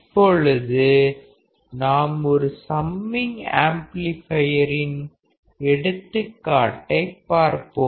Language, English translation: Tamil, Now, let us see an example of a summing amplifier